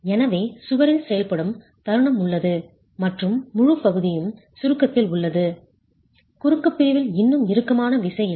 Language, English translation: Tamil, So there is moment acting on the wall and the entire section is in compression, no tension in the cross section yet